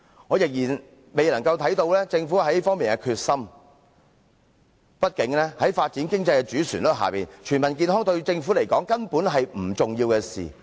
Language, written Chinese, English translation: Cantonese, 我仍然未能看見政府在這方面的決心，畢竟在發展經濟的主旋律下，全民健康對政府而言根本是不重要的事。, I am still unable to see the Governments commitment in this aspect . After all under the major policy of economic development health for all is basically not important to the Government